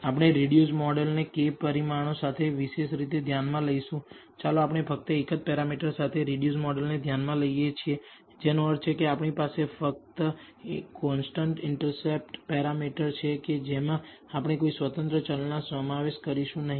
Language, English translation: Gujarati, The reduced model we will consider with k parameters specifically let us consider the reduced model with only one parameter which means that we have only the constant intercept parameter we will not include any of the independent variables